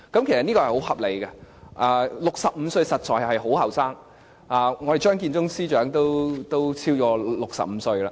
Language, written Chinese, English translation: Cantonese, 其實這是很合理的 ，65 歲實在是很年輕，我們的張建宗司長也都超過65歲了。, This is indeed reasonable because the age of 65 is indeed very young . Our Chief Secretary for Administration Matthew CHEUNG is also over 65